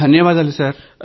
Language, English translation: Telugu, Thank you, Thank You Sir